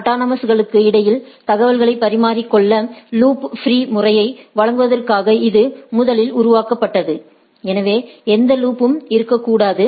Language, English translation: Tamil, It was originally developed to provide loop free method of exchanging information between autonomous systems, so there should not be any loop right